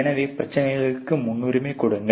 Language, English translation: Tamil, So, then you prioritise the problems